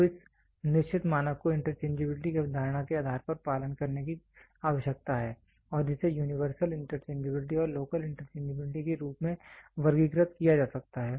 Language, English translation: Hindi, So, this certain standard needs to be followed based on the interchangeability concept and that can be categorized as universal interchangeability and local interchangeability